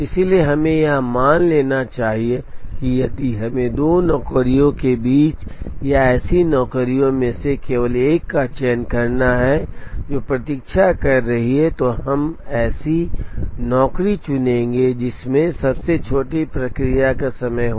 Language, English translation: Hindi, So, let us assume that if we have to choose between two jobs or among a set of jobs that are waiting, we would pick a job which has the smallest processing time